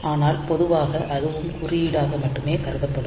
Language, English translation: Tamil, So, that will also be treated as code only